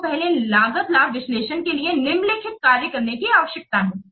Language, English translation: Hindi, For cost benefit analysis, you need to do the following